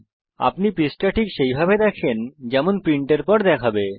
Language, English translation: Bengali, You can see the page exactly as it would look when it is printed